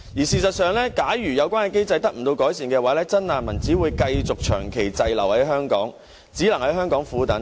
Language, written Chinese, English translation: Cantonese, 事實上，假如有關機制得不到改善，真難民只會繼續長期滯留在香港，只能在香港苦等。, In fact those genuine refugees stranded in Hong Kong will have to stay here for a prolonged period if no improvements are made to the mechanism in question